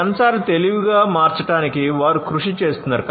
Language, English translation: Telugu, They are working on making sensors intelligent